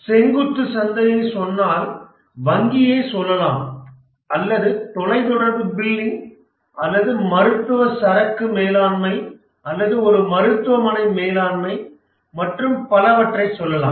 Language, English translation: Tamil, The vertical market may be for, let's say, banking, or let's say telecom billing or maybe medical inventory management or maybe a hospital management and so on